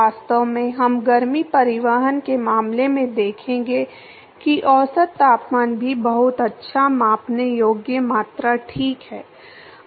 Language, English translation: Hindi, In fact, we will seen heat transport case that the average temperature is also very good measurable quantity alright